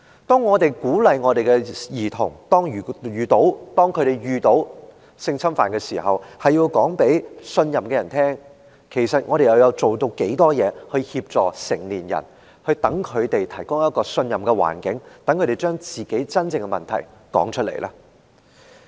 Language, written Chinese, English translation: Cantonese, 當我們鼓勵兒童一旦遇到性侵犯，便要告訴所信任的人時，其實我們又做了多少事來協助成年人，為他們提供可信任的環境，讓他們把自己真正的經歷說出來呢？, While we encourage children who have been sexually assaulted to tell people whom they trust what have we done to help adult victims and to provide a trustworthy environment for them to recount their actual experiences?